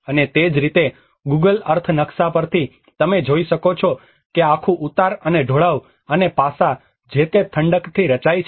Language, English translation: Gujarati, \ \ And that is how from the Google Earth map you can see that the whole gradients and the slopes and aspects which are formed by the way it has been cool down